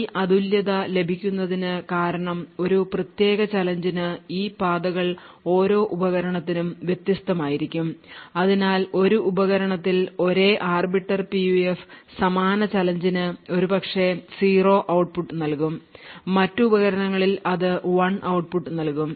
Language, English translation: Malayalam, So the uniqueness is obtained because each of these paths for a given challenge would be different for each device and therefore on one device the same Arbiter PUF for the same challenge would perhaps give an output of 0, while on other device will give output of 1